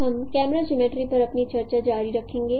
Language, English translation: Hindi, We will continue our discussion on camera geometry